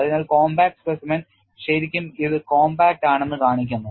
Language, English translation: Malayalam, So, this really shows compact specimen is really compact